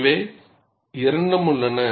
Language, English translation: Tamil, So, both exists